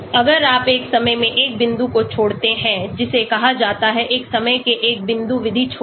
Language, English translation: Hindi, So if you leave out one point at a time that is called leave one out method one point at a time